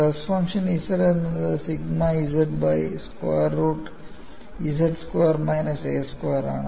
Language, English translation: Malayalam, The stress function takes the form capital ZZ equal to sigma z divided by root of z squared minus a squared